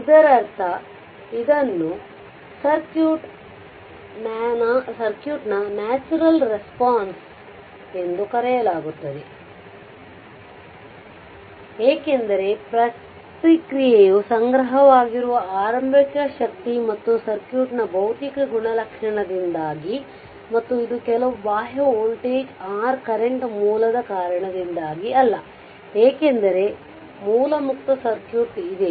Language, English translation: Kannada, That means this is called your natural response of the circuit, because the response is due to the initial energy stored and the physical characteristic of the circuit right and not due to some external voltage or current source, because there is a source free circuit